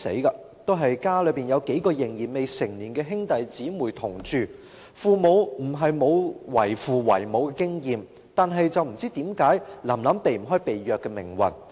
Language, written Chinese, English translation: Cantonese, "臨臨"家中也有數名未成年的兄弟姊妹同住，她的父母不是沒有為人父母的經驗，但不知道為何"臨臨"避不開被虐的命運？, Also in the family of this Lam Lam a few siblings who are minors live together . Her parents were not inexperienced in parenting but for reasons unknown why was Lam Lam unable to escape the fate of abuse?